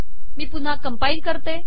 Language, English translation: Marathi, Let me compile this again